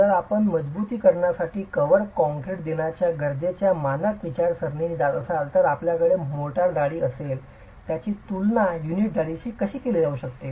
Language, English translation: Marathi, So, if you were to go by the standard thinking of the need to provide cover concrete for the reinforcement, you will have mortar thicknesses which are comparable to unit thicknesses